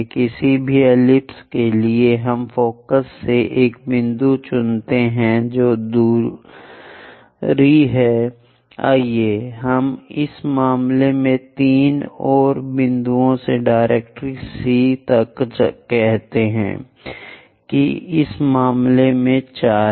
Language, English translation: Hindi, For any ellipse you pick a point from focus what is the distance, let us call that in this case 3 and from point to directrix C that is 4 in this case